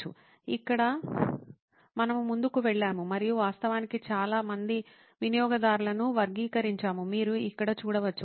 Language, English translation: Telugu, Here we went ahead and actually categorized a lot of users, as you can see here